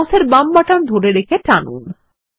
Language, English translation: Bengali, Hold the left button of the mouse and drag from up to down